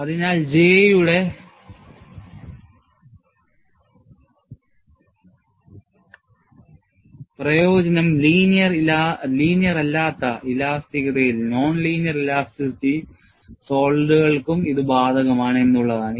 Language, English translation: Malayalam, So, the advantage of J is, it is applicable for non linear elastic solids too